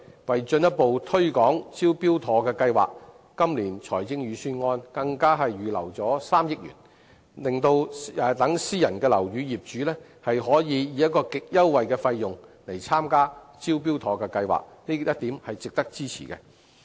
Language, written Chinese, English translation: Cantonese, 為進一步推廣"招標妥"的服務，今年財政預算案更預留了3億元，讓私人樓宇業主可以極優惠的費用使用"招標妥"服務，這一點是值得支持的。, To further promote the Smart Tender scheme 300 million has been earmarked in the Budget this year for enabling owners of private buildings to use the Smart Tender scheme at a great discount . It is worth our support